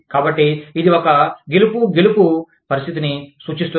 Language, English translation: Telugu, So, it refers to a, win win situation